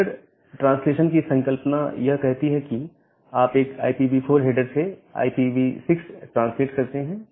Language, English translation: Hindi, Then the concept of header translation, it says that you translate a IPv4 header to IPv6 header